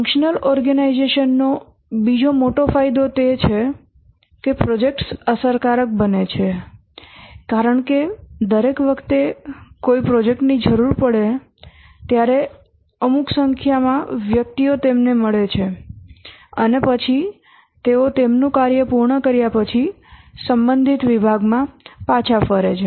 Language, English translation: Gujarati, Another major advantage of the functional organization is that the projects become cost effective because each time a project needs certain number of persons gets them and then they return to the respective department after they complete their work